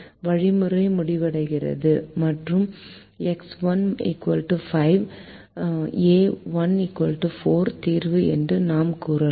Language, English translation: Tamil, the algorithm terminates and we could say that x, one equal to five, a one equal to four is the solution